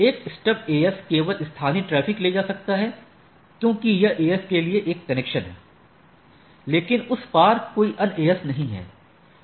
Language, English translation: Hindi, A stub AS can carrying only local traffic because, it is a one connection to the AS, but there is no other AS across that